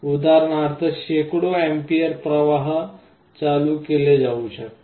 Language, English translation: Marathi, For example, hundreds of amperes of currents can be switched